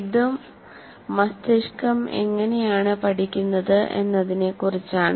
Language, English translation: Malayalam, This is also related to understanding how brains learn